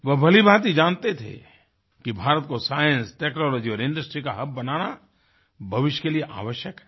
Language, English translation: Hindi, He knew very well that making India a hub of science, technology and industry was imperative for her future